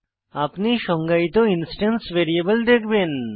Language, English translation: Bengali, You will see the instance variable you defined